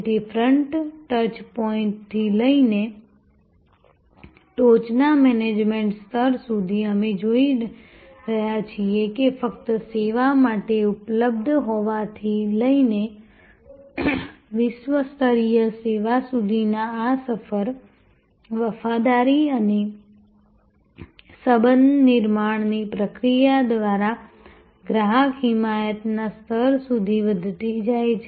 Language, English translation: Gujarati, So, right from the front touch point to the top management level, we see therefore, this journey from just being available for service to the world class service, growing through the process of loyalty and relationship building to the level of customer advocacy